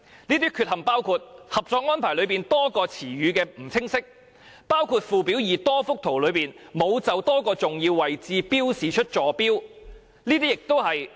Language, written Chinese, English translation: Cantonese, 這些缺陷包括：《合作安排》內多個詞語含意不清晰，包括附表2多幅圖則內沒有就多個重要位置標示出坐標。, The defects include The ambiguity of various wordings in the Co - operation Arrangement and that the Government fails to mark the coordinates of various important areas in various drawings in Annex 2